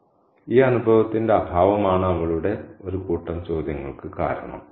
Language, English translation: Malayalam, So, having this lack of experience is the reason for her set of questions